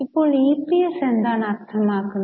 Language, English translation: Malayalam, Now what is meant by EPS